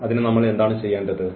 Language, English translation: Malayalam, So, what do we need to do